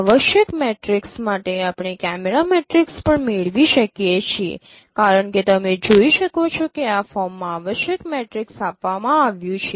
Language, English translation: Gujarati, For essential matrix we can also derive the camera matrices as you can see that essential matrix is given in this form